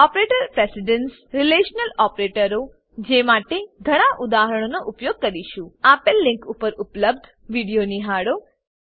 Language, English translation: Gujarati, Operator Precedence Relational Operators using many examples Watch the video available at the following link